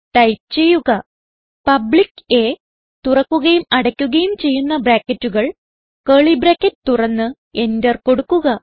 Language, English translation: Malayalam, So type public A opening and closing brackets, open the curly brackets press Enter